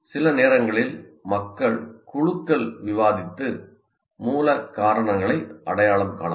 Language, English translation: Tamil, Sometimes groups of people can discuss and identify the root causes